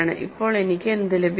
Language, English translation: Malayalam, Now, what do I get